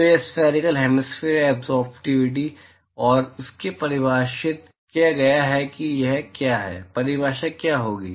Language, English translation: Hindi, So, this is spectral hemispherical absorptivity and that is defined as what is it, what will be the definition